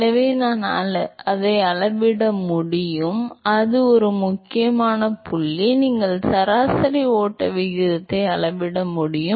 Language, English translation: Tamil, So, I can measure, that is a very important point, you can measure the average flow rate